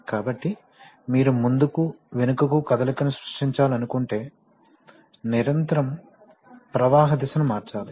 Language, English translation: Telugu, So if you want to create back and forth motion then we have to continuously change the direction of flow automatically